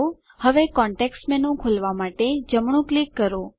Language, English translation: Gujarati, Now right click to open the context menu